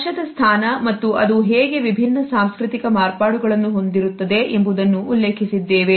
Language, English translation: Kannada, We have referred to the position of touch and how it can have different cultural variations